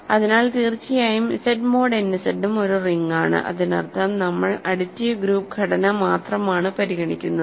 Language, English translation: Malayalam, So of course, Z mod n Z is also a ring so; that means, we are only considering the additive group structure